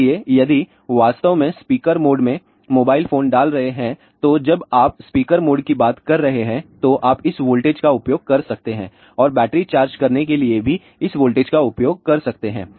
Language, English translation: Hindi, So, if you actually speaking put mobile phone in the speaker mode so, while you are talking speaker mode you can use this voltage and you can even use this voltage to charge a battery